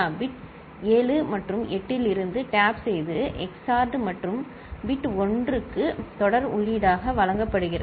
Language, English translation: Tamil, Tap from bit 7 and 8 are XORed and fed as serial input to bit 1